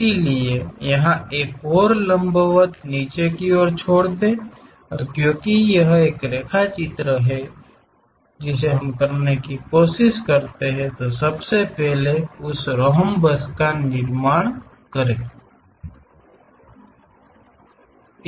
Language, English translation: Hindi, So, here drop one more perpendicular and because it is a sketch what we are trying to have, first of all construct that rhombus